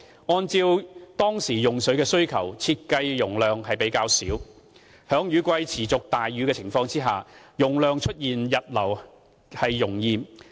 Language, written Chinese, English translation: Cantonese, 按照當時用水的需求，設計的容量較小，在雨季持續大雨的情況下，容易出現溢流。, As these reservoirs were designed to meet the water needs then they featured relatively small storage capacities and are prone to overflow in times of persistently heavy rainstorms in the rainy season